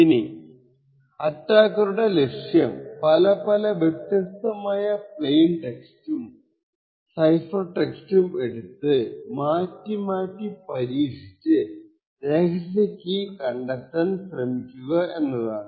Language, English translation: Malayalam, Now the goal of the attacker over here is to be able to manipulate the plain text, cipher text choose different plain text choose different cipher text with the objective of identifying what the secret key is